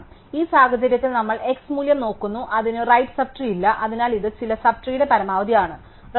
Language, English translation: Malayalam, So, in this case we look at the value x, it has no right sub trees, so it is the maximum of some sub tree